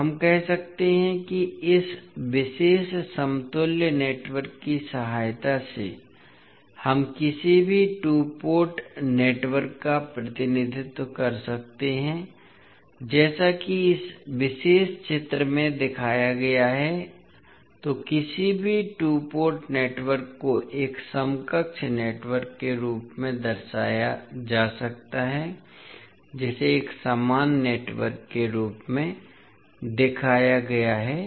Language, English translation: Hindi, So, we can say the with the help of this particular equivalent network we can represent any two port network as shown in this particular figure so any two port network can be represented as a equivalent, as an equivalent network which would be represented like shown in the figure